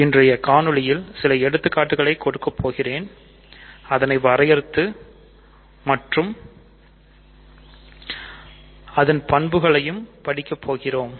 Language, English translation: Tamil, So, in today’s video I will give some examples of rings and then define them and study properties